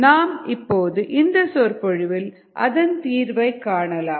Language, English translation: Tamil, let us solve that in this particular lecture